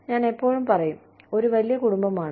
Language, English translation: Malayalam, I am going to say that, one big family